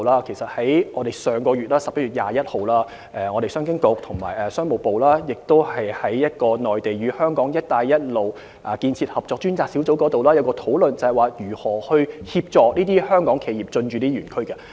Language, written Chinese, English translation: Cantonese, 在上月21日，商經局和商務部在內地與香港"一帶一路"建設合作專責小組會議上，曾就如何協助香港企業進駐這些園區進行討論。, At the meeting of the Mainland and Hong Kong Belt and Road Task Group held on the 21 of last month the Commerce and Economic Development Bureau had discussed with the Ministry of Commerce how to assist Hong Kong enterprises to set up businesses in these ETCZs